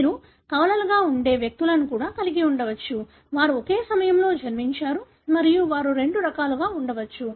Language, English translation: Telugu, You could also have individuals that are twins, they are born at the same time and they could be of two types